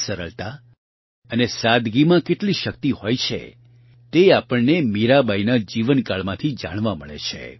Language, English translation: Gujarati, We come to know from the lifetime of Mirabai how much strength there is in simplicity and modesty